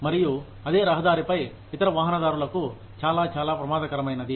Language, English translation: Telugu, And, very, very, dangerous for other motorists, on the same road